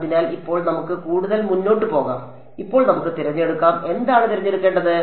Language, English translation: Malayalam, So, now let us proceed further, let us now put in now what does it that we have to choose